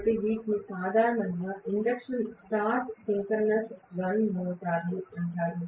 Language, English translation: Telugu, So, these are generally known as induction start synchronous run motors